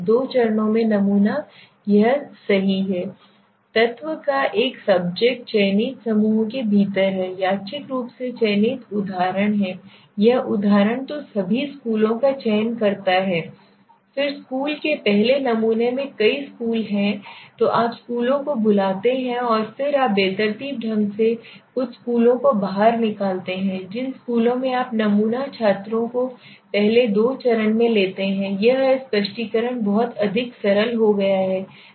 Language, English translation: Hindi, A subset of the element is within the selected clusters are randomly selected example is let s see this example so select all schools then sample within the school s first there are several schools so you to call the schools and then you randomly pull out a few schools okay then from the schools you take sample students first in the two stage what we did so it is just like what you know the explanation has become too more simpler